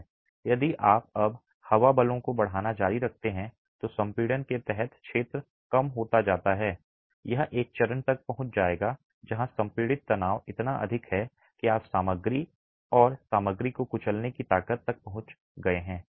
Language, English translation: Hindi, If you now continue increasing the wind forces, the area under compression keeps reducing, it will reach a stage where the compressive stresses are so high that you have reached the crushing strength of the material and the material crushes